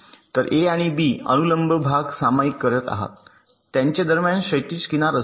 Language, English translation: Marathi, so a and b are sharing a vertical edge